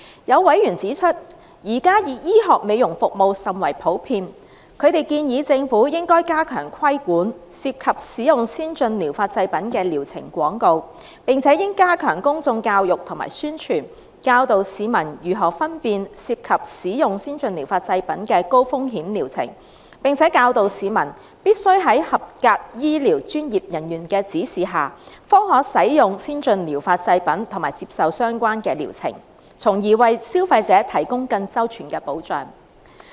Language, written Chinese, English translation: Cantonese, 有委員指出，現時醫學美容服務甚為普遍，他們建議政府應加強規管，涉及使用先進療法製品的療程廣告，並且應加強公眾教育和宣傳，教導市民如何分辨涉及使用先進療法製品的高風險療程，並且教導市民必須在合資格醫療專業人員的指示下，方可使用先進療法製品及接受相關的療程，從而為消費者提供更周全的保障。, Some members pointed out that medical beauty services had gained much popularity . They advised that the Government should step up regulatory control of advertisements on treatments using ATPs and strengthen public education and publicity; and that the Government should teach the public on how to differentiate high - risk treatments using ATPs and that they should only use ATPs under the guidance of qualified medical professionals or receive related treatments performed by qualified medical professionals so as to further enhance protection for consumers